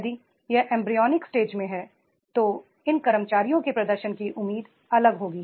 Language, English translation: Hindi, If it is at embryonic stage then the expectancy of the performance of these employees that will be different